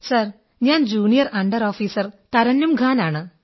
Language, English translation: Malayalam, Sir, this is Junior under Officer Tarannum Khan